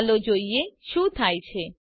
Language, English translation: Gujarati, let see what happens